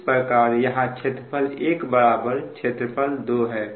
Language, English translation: Hindi, so in that case it will be: area one is equal to area two